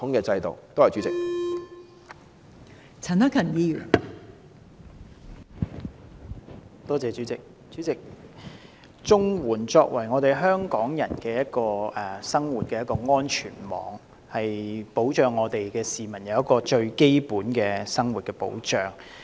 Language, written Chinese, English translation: Cantonese, 代理主席，綜合社會保障援助是香港人的生活安全網，為市民提供最基本的生活保障。, Deputy President the Comprehensive Social Security Assistance CSSA Scheme is a safety net for the livelihood of Hong Kong people providing protection for the public at the most basic subsistence level